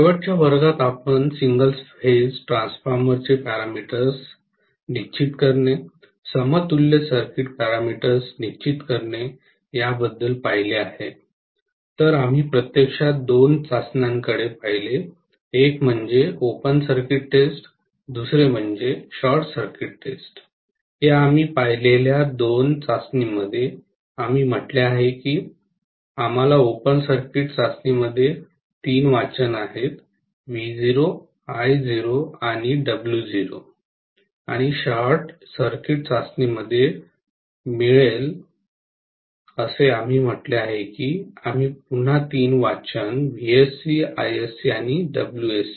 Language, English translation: Marathi, So we actually looked at two of the tests, one is open circuit test, the other one is short circuit test, these are the two tests we looked at and in open circuit test we said we will get three readings, V naught, I naught and W naught and short circuit test we said we will get again three readings Vsc Isc and Wsc